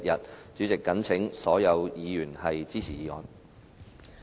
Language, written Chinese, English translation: Cantonese, 代理主席，我謹請所有議員支持議案。, Deputy President I implore all Members to support the motion